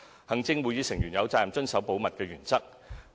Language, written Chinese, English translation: Cantonese, 行政會議成員有責任遵守保密原則。, The Executive Council Members are obliged to comply with this principle